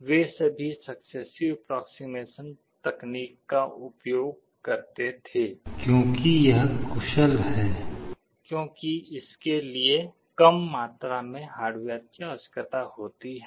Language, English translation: Hindi, They all implemented successive approximation technique because it is efficient, because it requires less amount of hardware